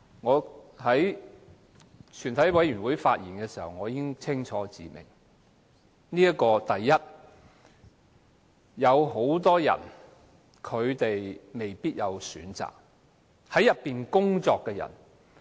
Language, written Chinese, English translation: Cantonese, 我在全體委員會審議階段已經清楚指出，很多人未必有選擇，例如在內地口岸區工作的人。, As I have clearly pointed out at the Committee stage many people such as those who work in MPA may not have the choice